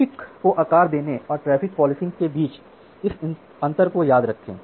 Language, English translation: Hindi, So, remember this difference between traffic shaping and traffic policing